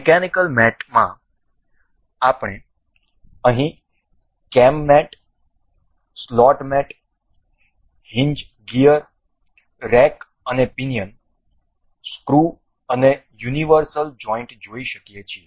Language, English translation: Gujarati, In the mechanical mates we can see here the cam mate, slot mate, hinge gear, rack and pinion screw and universal joint